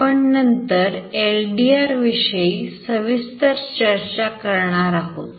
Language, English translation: Marathi, Later when I discussed about LDR in detail